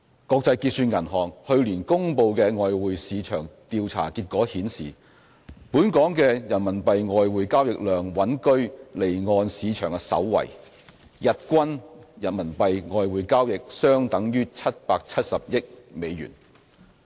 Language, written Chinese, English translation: Cantonese, 國際結算銀行去年公布的外匯市場調查結果顯示，本港的人民幣外匯交易量穩居離岸市場首位，日均人民幣外匯交易相等於770億美元。, According to the survey results on foreign exchange market turnover announced by the Bank for International Settlements last year Hong Kong ranked top among offshore markets in terms of the volume of RMB foreign exchange transactions and the daily average turnover of RMB foreign exchange transactions was US77 billion